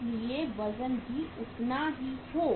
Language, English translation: Hindi, So that weight will be same